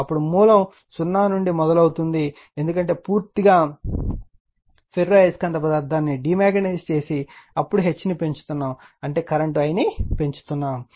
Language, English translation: Telugu, Then we will starting from the origin that 0, because we have totally you are what you call demagnetize the ferromagnetic material, now we are increasing the H that means, we are increasing the current I say right